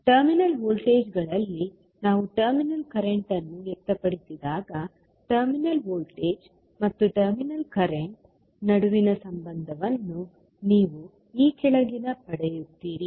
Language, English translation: Kannada, So, when we express terminal current in terms of terminal voltages, you will get a relationship between terminal voltage and terminal current as follows